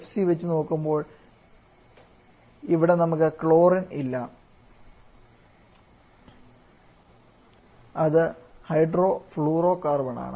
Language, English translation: Malayalam, So it is HCFC and finally we can have HFC where we do not have chlorine at all, it is hydrofluorocarbon